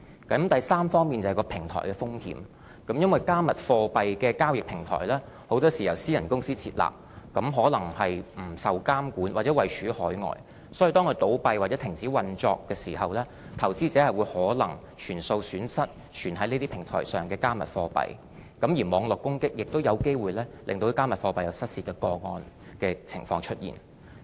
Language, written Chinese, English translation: Cantonese, 第三，是平台的風險，因為"加密貨幣"的交易平台，很多時是由私人公司設立，可能不受監管，或位處海外，所以當它倒閉或停止運作時，投資者可能會全數損失存放於這些平台上的"加密貨幣"，而網絡攻擊也有機會令"加密貨幣"出現失竊的情況。, Cryptocurrency trading platforms are usually set up by private enterprises and these platforms may be unregulated and located overseas . If these platforms shut down or cease operations investors may face the possible risk of losing their entire investments held on these platforms . Cyber - attacks resulting in the theft of cryptocurrencies are also possible